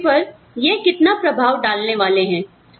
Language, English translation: Hindi, How much of impact, they are having, on each other